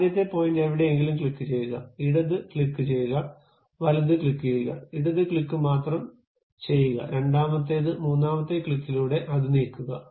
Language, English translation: Malayalam, Pick first point somewhere click, left click, right click, sorry left click only, second one, the third one click then move it